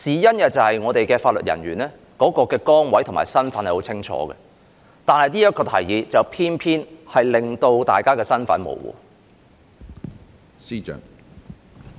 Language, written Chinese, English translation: Cantonese, 原因是法律人員的崗位和身份是很清楚的，但這項建議卻偏偏令到他們的身份模糊。, The positions and roles of legal officers have been clearly defined but it just so happens that the proposal will blur their roles